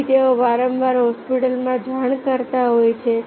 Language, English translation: Gujarati, so there are frequently reporting to the hospitals